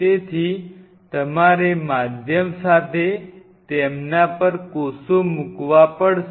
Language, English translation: Gujarati, So, you have to put the cells on them along with the medium